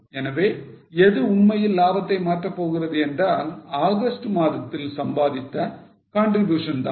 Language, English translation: Tamil, So, what is really going to change profit is a contribution earned in the month of August